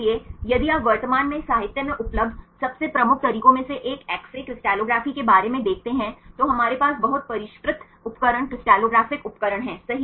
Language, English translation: Hindi, So, if you look about the X ray crystallography these one of the most prominent methods available in literature currently, we have the very sophisticated instruments right crystallographic instruments right